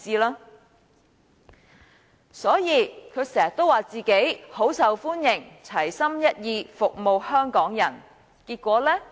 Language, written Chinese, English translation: Cantonese, 他經常說自己很受歡迎，齊心一意，服務香港人，結果如何呢？, He often says that he is very popular and will stay focused in serving Hong Kong people . What has he actually done?